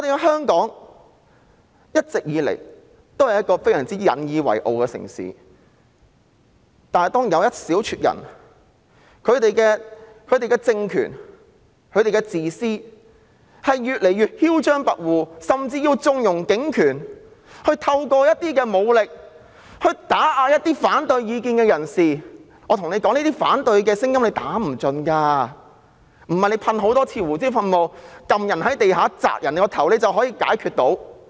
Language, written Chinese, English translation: Cantonese, 香港一直都是我們相當引以為傲的城市，但當有一小撮人、他們的政權越來越自私和囂張跋扈，甚至縱容濫用警權，利用武力打壓持反對意見的人士時，我想告訴大家，反對的聲音是打不盡的，不是多次噴射胡椒噴霧、把人按到地上壓住頭部便解決得到。, Hong Kong has always been a city we take pride in . Yet when a handful of people whose regime is increasingly selfish and arrogant and they even connive at the abuse of police power and use force to suppress people holding opposing views I wish to tell all of you that the voice of opposition can never be eradicated . It can never be wiped out by squirting pepper spray on multiple occasions or pressing peoples head against the ground